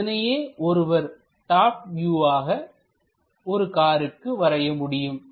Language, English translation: Tamil, So, this is the top view what one can really draw for a car